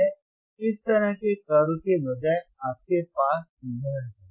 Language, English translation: Hindi, That you have this instead of this kind of curve